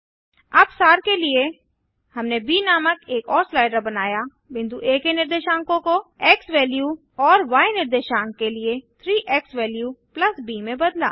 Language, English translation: Hindi, Now to summarize, we made another slider named b, altered point A coordinate to xValue and 3 xValue + b for the y coordinate